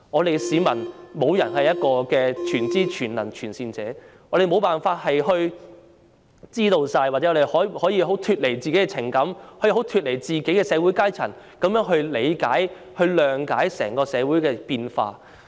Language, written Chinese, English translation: Cantonese, 然而，市民中沒有人是全知、全能、全善者，我們無法清楚知道，又或脫離自己的情感和社會階層，從而理解及諒解整個社會的變化。, Yet no one among the public is all - knowing all - powerful and all - benevolent . We cannot have complete understanding and we cannot withdraw from our emotions or social stratum to comprehend and understand the changes of society as a whole